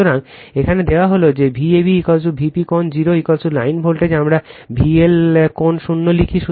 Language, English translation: Bengali, So, here it is given that V ab is equal to V p angle 0 is equal to your line voltage we write V L angle zero